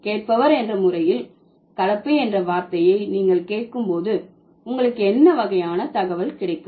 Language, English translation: Tamil, As a hearer, when you hear the word blend, what kind of information do you get